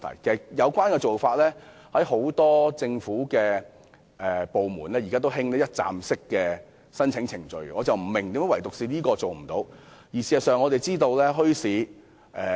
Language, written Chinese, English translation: Cantonese, 其實，政府現時多個部門都提供一站式申請程序，我不明白為何墟市相關申請卻做不到。, In fact since many government departments have already adopted a one - stop application process in other matters I do not understand why the same cannot be done with regard to bazaar application